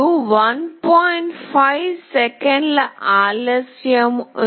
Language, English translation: Telugu, 5 second delay